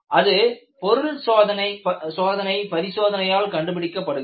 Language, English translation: Tamil, That is determined by a material testing experiment